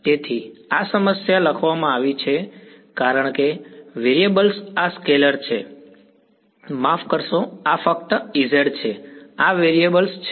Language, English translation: Gujarati, So, this problem has been written as the variables are these scalars right sorry this is just E z these are the variables